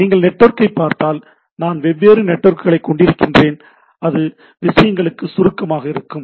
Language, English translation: Tamil, If you look at the network, I have different networks and then, it boils down to the things